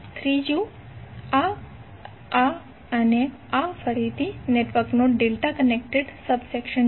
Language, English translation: Gujarati, Third onE1 is, this this and this is again a delta connected subsection of the network